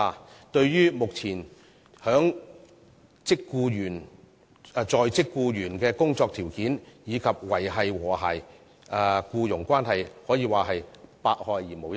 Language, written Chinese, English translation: Cantonese, 這對於目前在職僱員的工作條件，以及維繫和諧的僱傭關係，可說是百害而無一利。, It can be said that such an initiative will bring nothing but harm to the conditions of work of employees currently in employment and the maintenance of harmonious employment relations